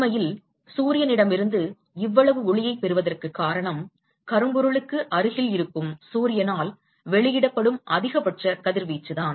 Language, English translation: Tamil, In fact, the reason why we are able to get so much light from sun is because the maximum radiation that is emitted by Sun which is close to a blackbody